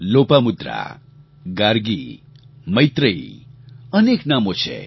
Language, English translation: Gujarati, Lopamudra, Gargi, Maitreyee…it's a long list of names